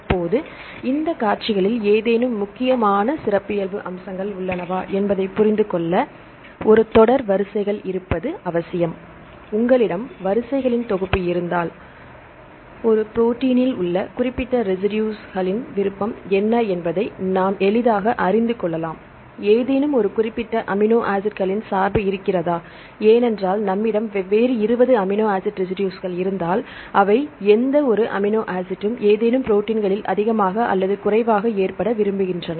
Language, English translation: Tamil, Now, to understand the features are there any important characteristic features among these sequences, it is essential to have a set of sequences; if you have the collection of sequences, then we can easily know what is the preference of is specific residues in a protein, right; are there any bias of any specific amino acids, because if we have 20 different amino acid residues right are there any amino acid with prefer to occur more in any proteins or prefer to occur less any protein and so on